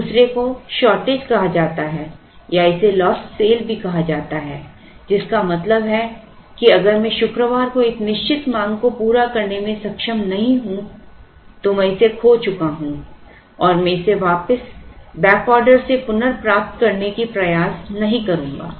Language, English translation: Hindi, The other is called shortage or also called lost sale which means if I am not able to meet a certain demand on Friday I have lost it and I will not try to recover it by back ordering it